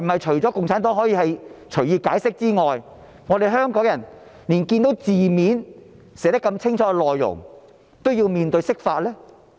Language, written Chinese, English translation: Cantonese, 除了共產黨可以隨意解釋寫在《基本法》的條文外，香港人是否連字面上清楚寫明的內容也要面對釋法？, Except for the Communist Party who can freely interpret the provisions of the Basic Law do Hong Kong people have to face another interpretation even if the words are clearly written?